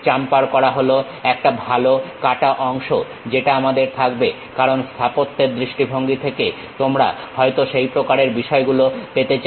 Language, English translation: Bengali, Chamfering always be a nice cut we will be having, because of architectural point of view you might be going to have that kind of thing